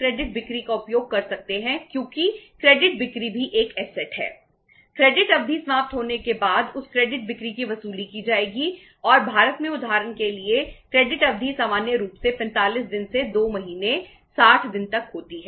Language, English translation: Hindi, Those credit sales will be recovered after the expiry of the credit period and in India say for example the credit period normally ranges from 45 days to 2 months, 60 days